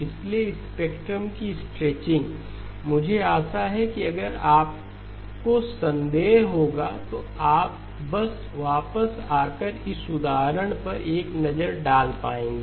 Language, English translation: Hindi, So the stretching of spectrum I hope you will if you have a doubt you will be able to just come back and take a look at this example